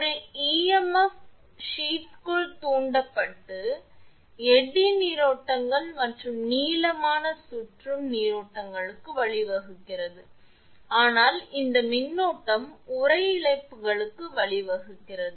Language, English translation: Tamil, An EMF is induced in the sheath leading to flow of eddy currents and longitudinal circulating currents, but this current give rise to the sheath losses